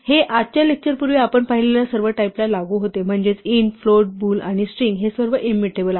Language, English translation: Marathi, This applies to all the types we have seen before today’s lecture namely int float bool and string these are all immutable